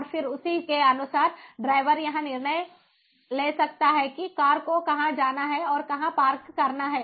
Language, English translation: Hindi, and then, accordingly, the driver can make a decision about where to go and park the car